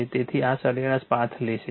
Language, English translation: Gujarati, So this, mean path will take